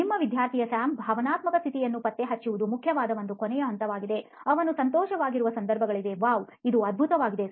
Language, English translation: Kannada, One last step which is important is to track the emotional status of your, of the student, of Sam, so there are times when he is happy, with wow this is great